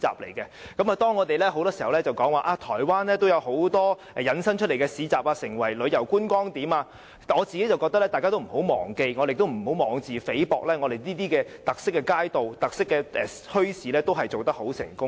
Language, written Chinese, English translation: Cantonese, 很多時候，當我們提到台灣有很多市集引申成為旅遊觀光點時，我個人認為大家不要忘記——也不要妄自菲薄——我們的特色街道和特色墟市，其實也是做得很成功的。, When we mention that many bazaars in Taiwan have become tourist attractions we should not forget that many streets and bazaars with special features in Hong Kong are also very successful and we should not belittle our success